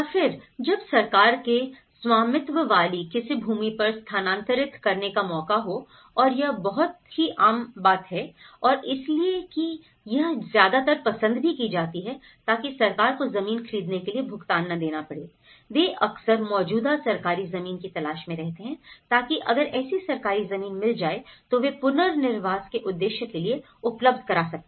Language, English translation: Hindi, Or, when there is a chance to relocate to land owned by the government and this is very common and because this is mostly preferred, so that the government need not pay for the buying the land so, this is what they look for the existing government lands, so that if there is a land available for the relocation purpose, if it is a government land they are obviously prefer for that